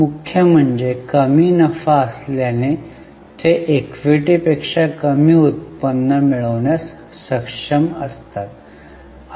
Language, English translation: Marathi, Mainly because of lower profitability they are able to generate lesser return than equity